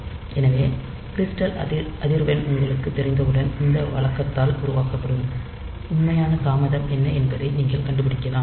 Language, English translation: Tamil, So, once you know the crystal frequency, so you can find out what is the actual delay that is produced by this routine